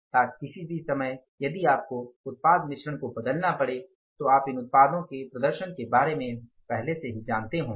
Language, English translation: Hindi, So, that any time if you have to change the product mix, you know it in advance the performance of the different products